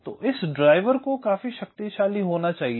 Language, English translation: Hindi, so this driver has to be powerful enough